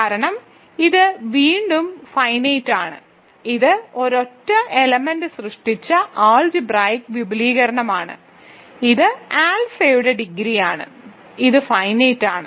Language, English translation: Malayalam, Because, again it is finite, it is an algebraic extension generated by a single element, so it is the degree of alpha itself, so it is finite